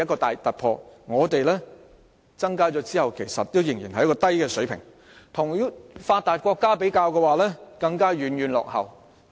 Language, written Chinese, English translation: Cantonese, 但我們在增加有關開支後，仍處於低水平，而與發達國家相比，更是遠遠落後。, But ours is still on the low side even after an increase in expenditure and worse still we are lagging far behind the developed countries